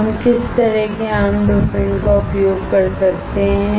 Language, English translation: Hindi, Now, what kind of common dopants can we use